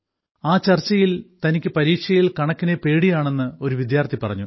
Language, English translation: Malayalam, During this discussion some students said that they are afraid of maths in the exam